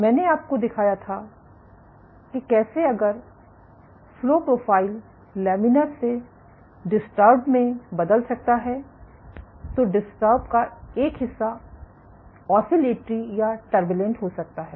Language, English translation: Hindi, And I showed you how by if the flow profile can change from laminar to disturbed, as part of being disturbed can be oscillatory or turbulent